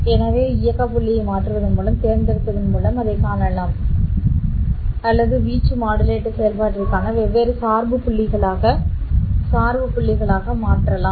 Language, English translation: Tamil, So you can see that by changing the operating point by choosing this V2 minus V1 difference I can choose or I can make into different biasing points for the operation of the amplitude modulator operation